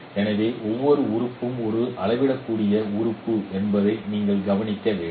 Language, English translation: Tamil, So you should note that each element here is a here each element is a scalar element